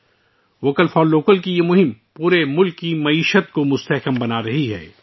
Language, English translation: Urdu, This campaign of 'Vocal For Local' strengthens the economy of the entire country